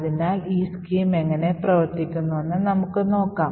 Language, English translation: Malayalam, So let us see how this particular scheme works